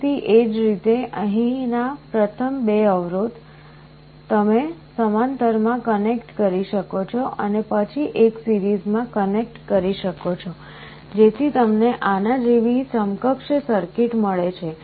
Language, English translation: Gujarati, Again similarly the first 2 resistances here, you can connect in parallel and then do a series you get an equivalent circuit like this